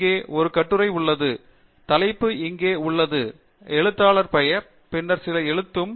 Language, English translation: Tamil, Here is an article; the title is here, the author name, and then some write up